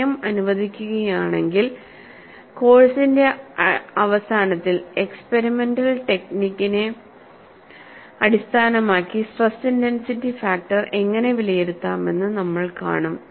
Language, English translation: Malayalam, If time permits, towards the end of the course, we would see how to evaluate the stress intensity factor based on experimental techniques